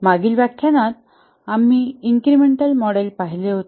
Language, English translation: Marathi, In the last lecture we looked at the incremental model